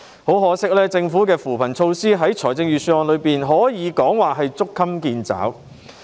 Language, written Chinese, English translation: Cantonese, 很可惜，政府在預算案提出的扶貧措施可謂捉襟見肘。, Unfortunately the relief measures proposed in the Governments Budget are hardly adequate